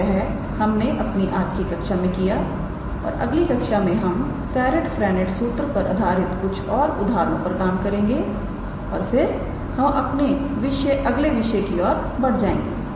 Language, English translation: Hindi, So, that is what we did in today’s class and in the next class we will probably do one or 2 more examples on Serret Frenet formula and then we will move on to our next topic